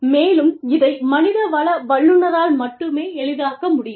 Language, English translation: Tamil, And, that can be facilitated, only by the HR professional